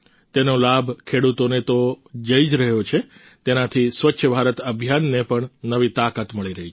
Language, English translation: Gujarati, Not only farmers are accruing benefit from this scheme but it has also imparted renewed vigour to the Swachh Bharat Abhiyan